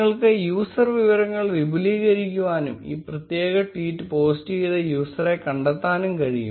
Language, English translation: Malayalam, You can expand the user information and find out about the user, which has posted this particular tweet